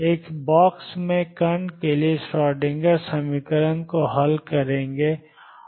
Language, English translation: Hindi, Solve the Schrödinger equation for particle in a box